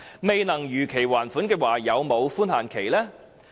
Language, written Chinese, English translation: Cantonese, 未能如期還款有否寬限期？, Would there be a grace period if the loans could not be repaid in time?